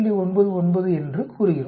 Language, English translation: Tamil, 99 for a 95 percent